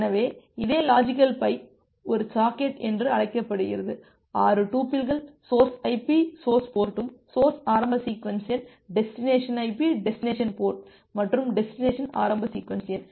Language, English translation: Tamil, So, this same logical pipe is termed as a socket, so we defined uniquely identify a connection uniquely identify a socket with the 6 tuples, the source IP, source port, source initial sequence number, destination IP, destination port and destination initial sequence number